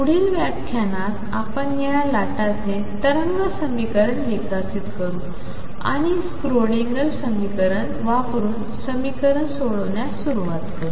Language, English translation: Marathi, In the next lecture we will develop the wave equation for this wave, and start solving problems using the Schrodinger equation